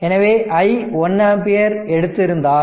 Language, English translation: Tamil, So, if i is equal to you have taken 1 ampere